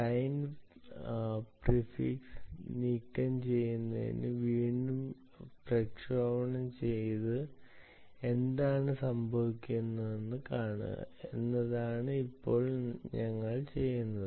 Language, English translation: Malayalam, now what we will do is remove the ah client prefix and transmit it again and see what happens